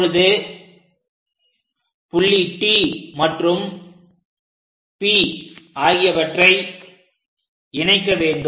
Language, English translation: Tamil, Now join T and P points